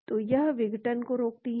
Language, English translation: Hindi, so it prevents disassembly